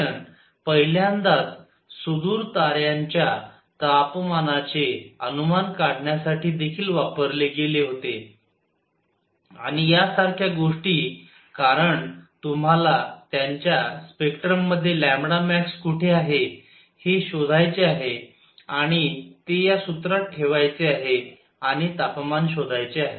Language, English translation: Marathi, This analysis was also used for the first time to estimate the temperature of distance stars, and things like those because you have to find in their spectrum where lambda max is and put that in this formula and find the temperature of that now that star